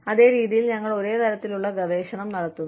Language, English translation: Malayalam, We are doing, the same kind of research, in the exact same manner